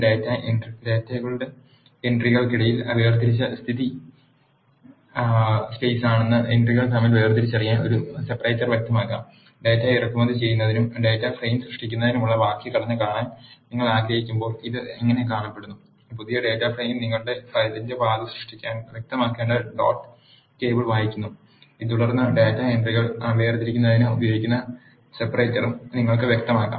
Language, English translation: Malayalam, A separator can also be specified to distinguish between entries the default separated between the entries of data is space, when you want to see the syntax for importing the data and creating a data frame this is how it looks; new data frame is read dot table you have to specify the path of the file and then you can also specify the separator that is being used to separate the entries of data